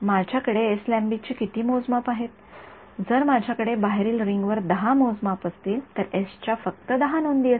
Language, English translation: Marathi, How many of measurements I have that will be the length of s right, if I have 10 measurements on the outside ring then s has only 10 entries